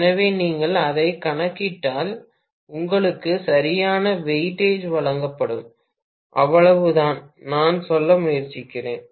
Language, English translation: Tamil, So, either way if you calculate it, you should be given due weightage, that is all I am trying to say